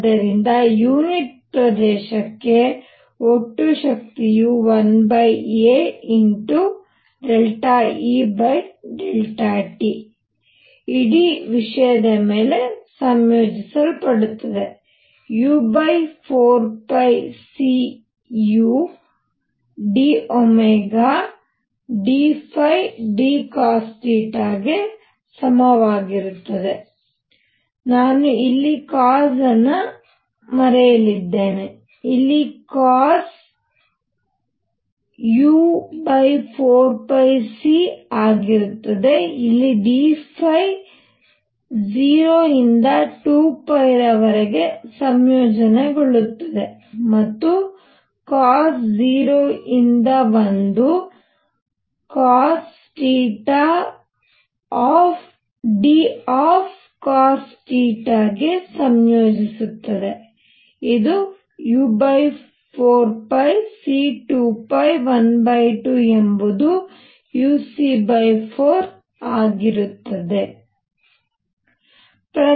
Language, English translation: Kannada, So, total power per unit area is going to be 1 over a delta E delta T integrated over this whole thing u c over 4 pi; d omega is going to be d phi d cosine of theta; I had forgotten a cosine theta over here cosine theta here cosine theta here which is nothing but u c over 4 pi d phi integrates on 0 to 2 pi and cosine theta integrates from 0 to 1 cos theta d cos theta; which is nothing but u c over 4 pi times 2 pi times 1 by 2 which is u c by 4